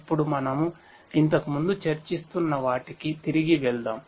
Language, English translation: Telugu, Now, let us go back to what we were discussing earlier